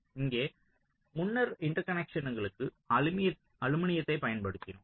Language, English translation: Tamil, so here, um, in earlier we used aluminum for the interconnections